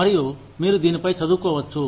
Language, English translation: Telugu, And, you can read up on this